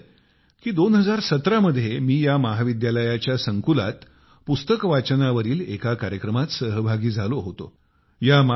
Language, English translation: Marathi, I remember that in 2017, I attended a programme centred on book reading on the campus of this college